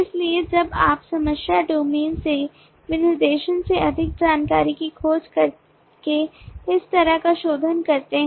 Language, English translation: Hindi, so when you do this kind of a refinement by exploring more information from the specification, from the problem domain